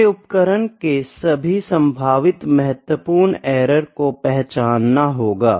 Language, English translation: Hindi, We need to identify all the potential significant errors for the instruments